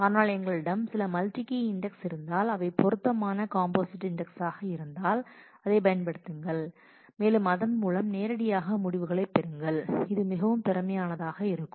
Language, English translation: Tamil, But if we have some multi key index which are appropriate composite index then we can use that and more directly get the result which will be more efficient